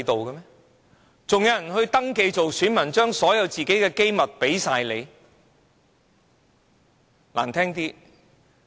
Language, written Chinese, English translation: Cantonese, 還有人會登記當選民，把自己所有的機密給你嗎？, Will they still register as a voter and give you all their confidential information?